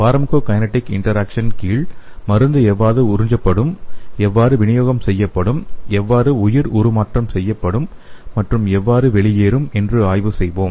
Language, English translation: Tamil, So under the pharmacokinetic interaction, we will be studying the how the drug will be absorbed and what is the distribution and also the biotransformation and excretion of the particular drug